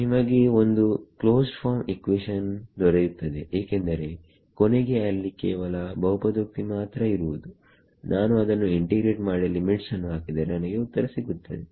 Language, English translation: Kannada, You will get a closed form equation because finally, there will just be polynomial I can integrate them substitute the limits and I will get it so